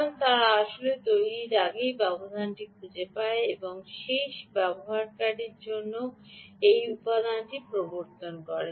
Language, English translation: Bengali, they would a found a gap before they are actually manufactured, went in and actually introduce that component for the end user